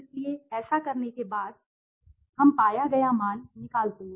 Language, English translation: Hindi, So, after doing this we take the found out the value